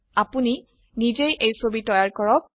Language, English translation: Assamese, Create this picture on your own